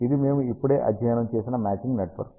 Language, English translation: Telugu, This is the matching network that we just ah studied